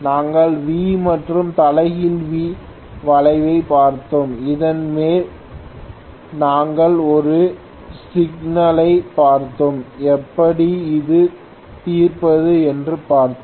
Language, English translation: Tamil, We had also looked at V and inverted V curve and on the top of that we had also looked at one of the problems, how to work out